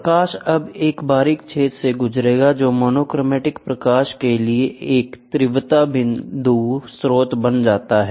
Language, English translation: Hindi, The light will now pass through a pinhole, giving an intensity point source for monochromatic light